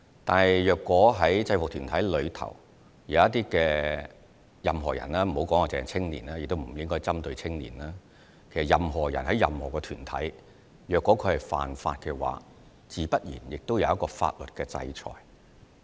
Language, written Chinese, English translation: Cantonese, 但是，如果在制服團體中有任何人——不止是青年，我們亦不應針對青年——其實任何人在任何團體裏如果犯法，自然會有法律的制裁。, Yet if any members of UGs be they young people or not―actually we should not target young people―have broken the law it is only natural that they will be subject to legal sanction . In fact this is also the case for any person in any group